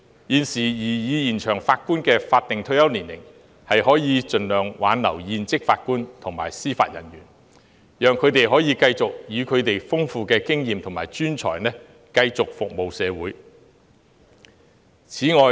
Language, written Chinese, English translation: Cantonese, 現時建議延長法官的法定退休年齡，可以盡量挽留現職法官及司法人員，讓他們可以繼續以其豐富的經驗及專才服務社會。, The present proposal to extend the statutory retirement age of Judges can help retain serving JJOs as far as possible so that they can continue to serve the community with their rich experience and skills